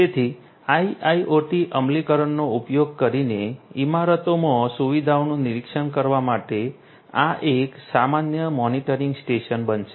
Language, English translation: Gujarati, So, this is going to be a common monitoring station for monitoring the facilities in the buildings using IIoT implementation